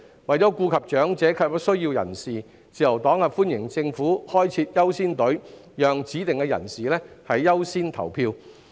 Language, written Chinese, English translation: Cantonese, 為顧及長者及有需要人士，自由黨歡迎政府開設"優先隊伍"，讓指定人士優先投票。, To take care of the elderly and persons in need the Liberal Party welcomes the Governments proposal to set up caring queues for specified persons to vote